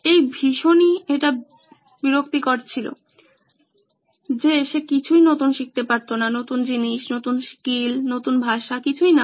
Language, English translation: Bengali, It’s an annoyance that he can’t learn new things, new skills, new languages